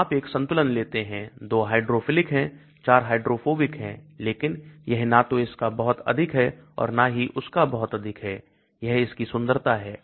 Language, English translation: Hindi, So you take a balance, 2 is hydrophilic, 4 is hydrophobic but it is neither too much of this or too much of that, that is the beauty of it